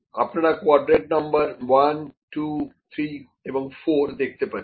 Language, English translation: Bengali, In the first quadrant, you can see this is the quarter number 1, 2, 3 and 4